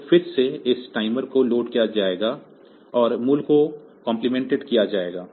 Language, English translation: Hindi, So, again this timer will be loaded and the value will be complimented